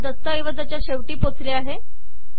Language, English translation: Marathi, I have come to the end of the document